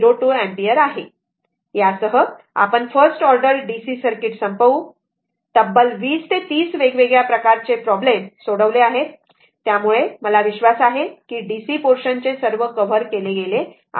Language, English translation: Marathi, 02ampere with this with this we will close that first order dc circuit as many as 20, 3 problems have been solved different type of problems, with this I believe all the parts of the dc portions have been covered